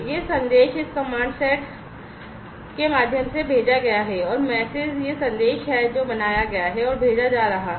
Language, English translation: Hindi, this message is sent through this command send acr mes msg, and msg is this message that is built and is being sent